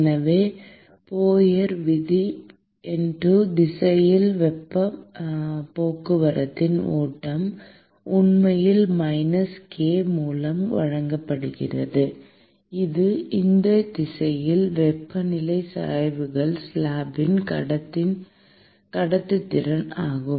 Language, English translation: Tamil, So, the Fourier’s law says that the flux of heat transport in the x direction, for this case, is actually given by minus k, which is the conductivity of the slab into the temperature gradient in that direction